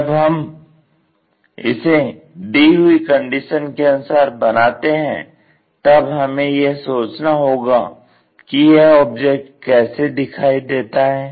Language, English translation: Hindi, So, when we are constructing this first of all based on the conditions, we have to visualize how the object might be looking